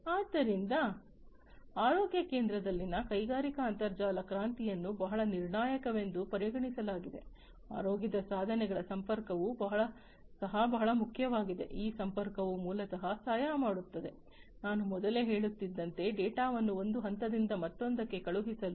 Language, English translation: Kannada, So, the industrial internet revolution in the healthcare center is considered to be very crucial, connectivity of healthcare devices is also very important this connectivity basically helps, in what I was telling you earlier to send the data from one point to another